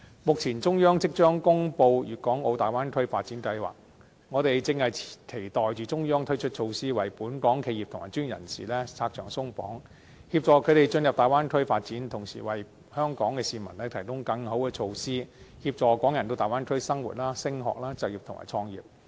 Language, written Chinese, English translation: Cantonese, 目前中央即將公布粵港澳大灣區發展規劃，我們正期待中央推出措施，為本港企業及專業人士拆牆鬆綁，協助他們進入大灣區發展，同時為香港的市民提供更好的措施，協助港人到大灣區生活、升學、就業及創業。, At this very time when the Central Authorities are about to announce the development plan for the Guangdong - Hong Kong - Macao Bay Area we hope that the Central Authorities can introduce barrier - removing measures that can assist Hong Kong enterprises and professionals in developing their business and career in the Bay Area . We also hope that the Central Authorities can roll out measures to better assist those Hong Kong people who wish to live study work or set up new businesses in the Bay Area